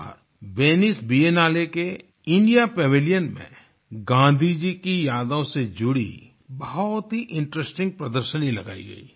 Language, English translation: Hindi, This time, in the India Pavilion at the Venice Biennale', a very interesting exhibition based on memories of Gandhiji was organized